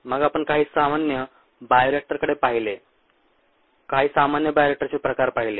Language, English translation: Marathi, then we looked at common bioreactor types, some common bioreactor types